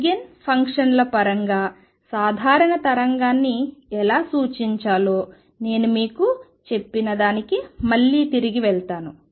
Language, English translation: Telugu, Again I will go back to what I told you about how to represent a general wave in terms of eigen functions